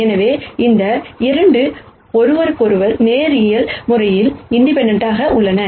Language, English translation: Tamil, So, these 2 are linearly independent of each other